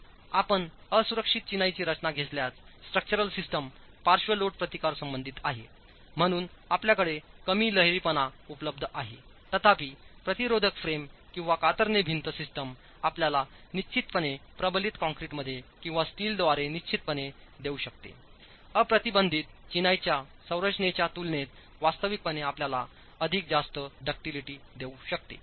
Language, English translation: Marathi, If you take an unreinforced masonry structure, you are going to have low ductility available as far as the structural system is concerned for lateral load resistance, whereas a moment resisting frame or a shear wall system can give you definitely in reinforced concrete or steel can actually give you far higher ductility in comparison to an unreinforced masonry structure